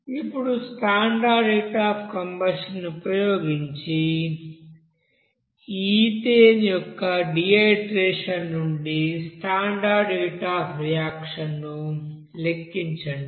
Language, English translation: Telugu, In this case, calculate the standard heat of reaction from the you know dehydrogenation of ethane using the standard heat of combustion